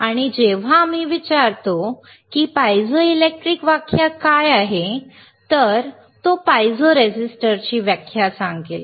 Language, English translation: Marathi, And when we ask what is piezoelectric the definition, it will be of piezo resistor